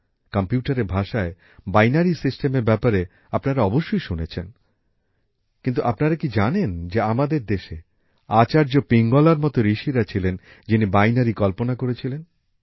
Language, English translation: Bengali, You must have also heard about the binary system in the language of computer, butDo you know that in our country there were sages like Acharya Pingala, who postulated the binary